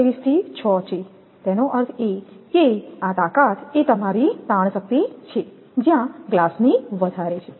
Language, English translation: Gujarati, 23 to 6; that means this strength is your tensile strength where glass is higher